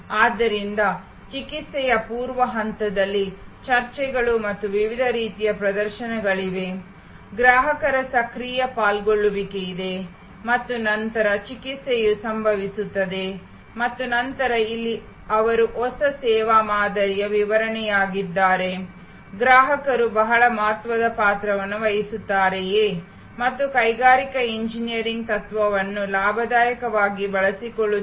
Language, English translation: Kannada, So, there is an active involvement of the customers to discussions and various kinds of demonstrations in the pre treatment stage and then, the treatment happens and then, here is a they are description of the new service model, whether customers play very significant part and industrial engineering principles are gainfully employed